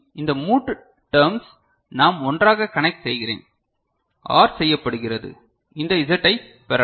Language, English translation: Tamil, Then these three terms I connect together, OR together and I can get this Z, ok